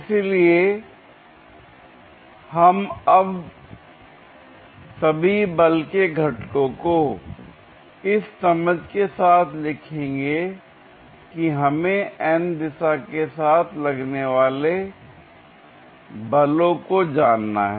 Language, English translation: Hindi, So, we will now write all the force components with an understanding that we are interested for the forces along the n direction